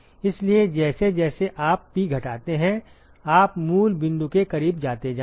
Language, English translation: Hindi, So, as you decrease P you will go closer to the origin